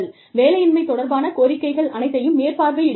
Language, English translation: Tamil, You audit all unemployment claims